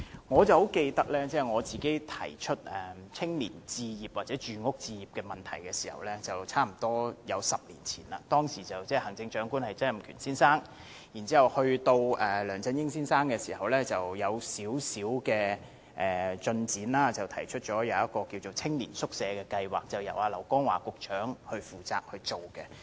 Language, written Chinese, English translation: Cantonese, 我記得當我提出青年置業的問題時，距今差不多10年，當時的行政長官是曾蔭權先生，其後梁振英先生上任，這方面亦有少許進展，提出了青年宿舍計劃，由劉江華局長負責推行。, I remember that it was nearly a decade ago when I raised the issue of home acquisition by young people and Mr Donald TSANG was the Chief Executive then . He was later succeeded by Mr LEUNG Chun - ying and a small progress was made in that the Youth Hostel Scheme was proposed and placed under the charge of Secretary LAU Kong - wah